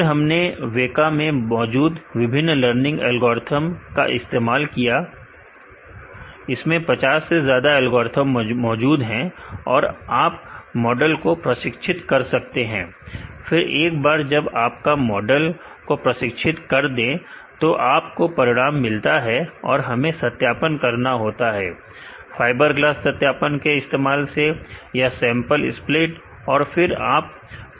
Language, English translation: Hindi, And we use a machine learning algorithm available in WEKA right, there are more than 50 algorithms are available and you train the model, then once you train the model you get the results and, we need to do the validation using the fiberglass validation, or the sample split and assess the performance